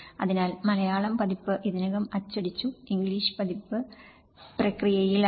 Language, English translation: Malayalam, So, the Malayalam version is already printed and the English version is on the process